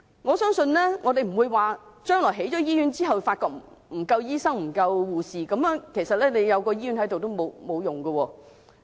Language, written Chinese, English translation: Cantonese, 我相信將來醫院建成後如發現沒有足夠醫生和護士，那麼即使有醫院也沒用。, I think if the supply of doctors and nurses is found to be insufficient upon completion of the hospitals in the future it would be useless even though the hospitals are made available